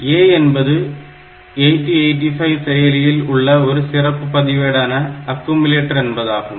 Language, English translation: Tamil, So, A is the is a special register that we have in 8085, which is the accumulator